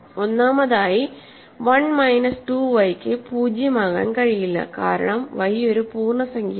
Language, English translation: Malayalam, First of all, 1 minus 2 y cannot be 0 because y is an integer